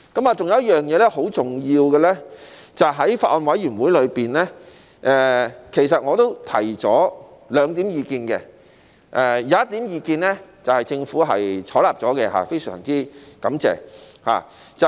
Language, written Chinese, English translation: Cantonese, 還有一點很重要的是，在法案委員會中，其實我也提出兩項意見，有一項意見獲政府採納了，非常感謝。, Another very important point is that in the Bills Committee I have put forward two views and one of them has been taken on board by the Government . I am very thankful